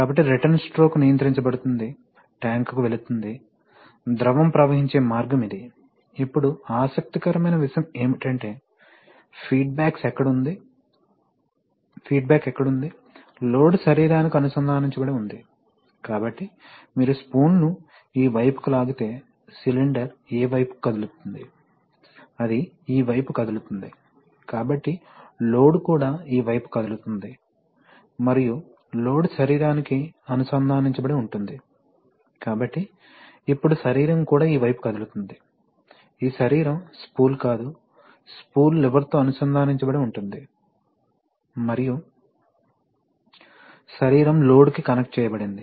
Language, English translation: Telugu, So the return stroke is going to be controlled, going to the tank, this is the way the fluid will flow, now interesting thing is, where is the feedback, interesting thing is that the load is connected to the body, so if you are pulled it, pulled the spool this side, the cylinder will move which side, it will move this side, so the load will also move this side and the load is connected to the body, so now the body will also move this side, this body, the, not the spool, the spool is connected to the lever and the body is connected to the load, so the body will move, so the movement of the body is actually like a relatively like a movement of the spool in the other direction because the flow, the opening is actually by relative motion